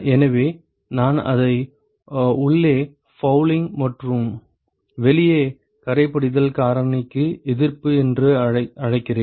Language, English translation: Tamil, So, I call it fouling inside and resistance for fouling factor outside